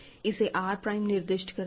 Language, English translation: Hindi, And I will call this R prime